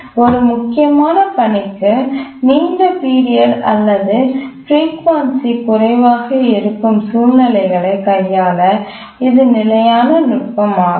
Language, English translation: Tamil, So this is a standard technique to handle situations where a critical task has a long period or its frequency of occurrences lower